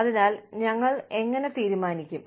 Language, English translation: Malayalam, So, how do we decide